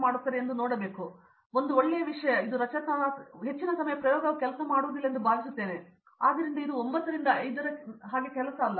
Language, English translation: Kannada, Most of the time the experiment don’t work so I think, and then again one a good thing is it’s not structured